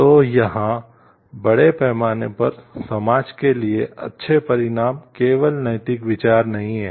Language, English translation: Hindi, So, here, good consequences for the society at larger not the only moral consideration